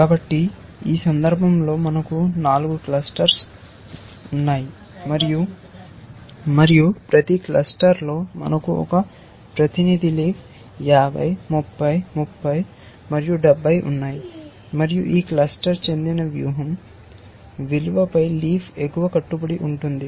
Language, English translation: Telugu, So, in this case we have 4 clusters, and in each cluster we have one representative leaf 50, 30, 30, and 70, and that leaf represents an upper bound on the value of the strategy that this cluster belongs to, this leaf belongs to, each leaf belongs to 2 strategies